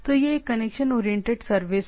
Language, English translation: Hindi, So, it is a connection oriented service